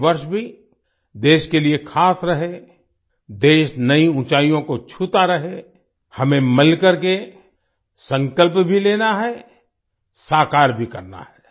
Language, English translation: Hindi, May this year also be special for the country, may the country keep touching new heights, and together we have to take a resolution as well as make it come true